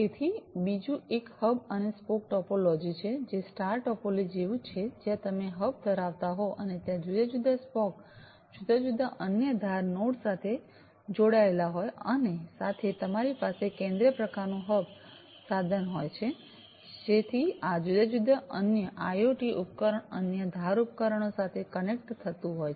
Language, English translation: Gujarati, So, the other one is the hub and spoke topology, which is very similar to the, the star topology where you have the hub and there are different spoke, spoke are basically connected to the different other edge nodes and together, you know, you have a central kind of hub device connecting to these different other IoT devices, other edge devices and so on